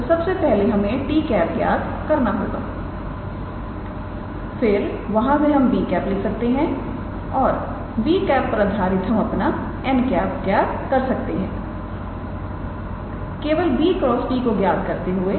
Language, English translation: Hindi, So, we first calculated t, from there we can write our b and based on the b we can calculate our n by just simply calculating b cross t